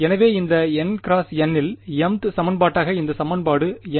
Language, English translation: Tamil, So, what did this equation read as the mth equation in these N cross N